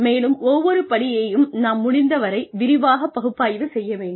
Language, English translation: Tamil, And, we analyze each step, in as much detail as possible